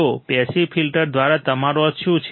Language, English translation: Gujarati, So, what do you mean by passive filters